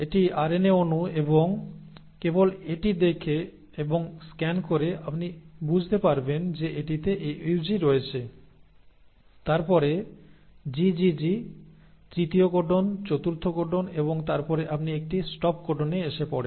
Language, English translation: Bengali, So this is the RNA molecule and by just looking and scanning through it you can understand that it has AUG followed by GGG then the third codon then the fourth codon and then you bump into a stop codon